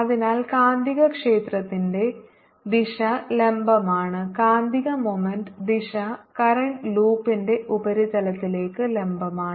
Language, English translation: Malayalam, direction of magnetic moment m is perpendicular to the surface of the current loop